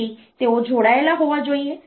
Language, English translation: Gujarati, So, they are to be connected